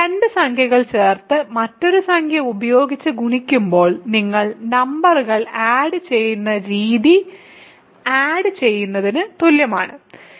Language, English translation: Malayalam, So, it is just like adding the way you add numbers in when you add two numbers and multiply with another number